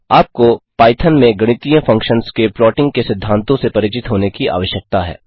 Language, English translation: Hindi, One needs to be familiar with the concepts of plotting mathematical functions in Python